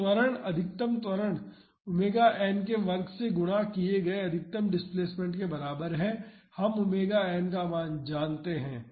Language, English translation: Hindi, So acceleration, maximum acceleration is equal to the maximum displacement multiplied by omega n square, we know the value of omega n